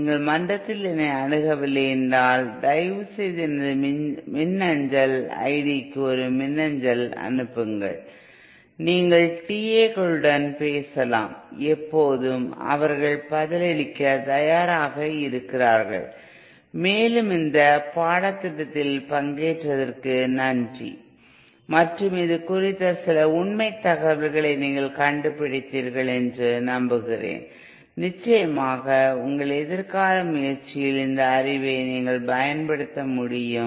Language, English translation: Tamil, In case you do not reach me in the forum, please send me an email to my email ID, also you can talk with TAs, there are alwaysÉ And thank you for participating in this course and I hope you found some truthful information on this course and you will be able to use this knowledge in your future endeavor